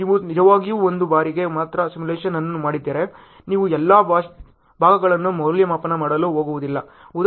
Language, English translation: Kannada, If you are really done the simulation only for one time then obviously, you are not going to evaluate all the parts